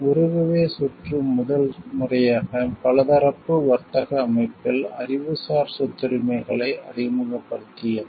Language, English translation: Tamil, The Uruguay Round introduced Intellectual Property Rights into the multilateral trading system for the first time